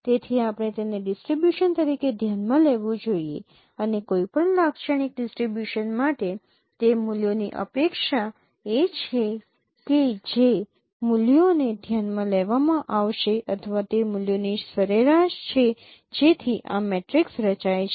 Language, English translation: Gujarati, So we should consider it as a distribution and for any typical distribution is the expectation of those values that would be considered or averages of those values that would be considered to form this matrix